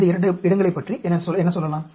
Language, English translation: Tamil, What about these two places